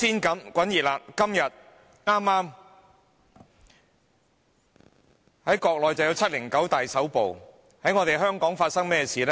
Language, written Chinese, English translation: Cantonese, 在國內有"七零九大抓捕"，在香港又發生甚麼事呢？, In the Mainland there was the 709 crackdown how about in Hong Kong?